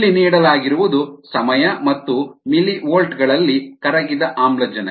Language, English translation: Kannada, what is given here is time, ah and dissolved oxygen in millivolt